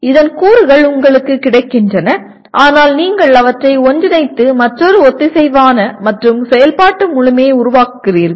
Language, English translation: Tamil, That is elements are available to you but you are putting them together to form a another coherent and functional whole